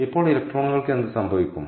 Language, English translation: Malayalam, now what happens to the electrons